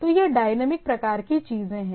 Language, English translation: Hindi, So, that is the dynamicity on the things